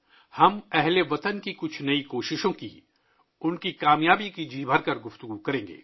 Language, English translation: Urdu, We will discuss to our heart's content, some of the new efforts of the countrymen and their success